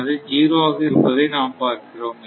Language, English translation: Tamil, So, that is 0